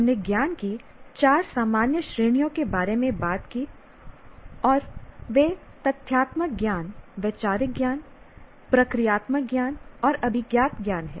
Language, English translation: Hindi, So we talked about four general categories of knowledge and they are the factual knowledge, conceptual knowledge, procedural knowledge, and metacognitive knowledge